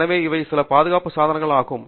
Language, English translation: Tamil, So, these are some safety devices that are prevalent